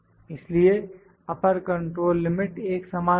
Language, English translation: Hindi, So, this is my upper control limit